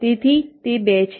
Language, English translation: Gujarati, this is two